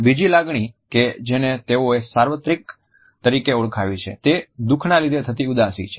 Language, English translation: Gujarati, The second emotion which they have identified as being universal is that of sadness of sorrow